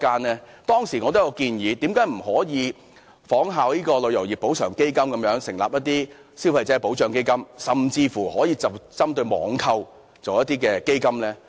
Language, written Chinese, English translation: Cantonese, 我當時建議，為何政府不可以仿效"旅遊業賠償基金"，成立"消費者保障基金"，甚至可以針對網購而成立一些基金呢？, At that time I suggested the Government to establish a consumers protection fund as in the case of the Travel Industry Compensation Fund . It can even set up a fund specifically for online shopping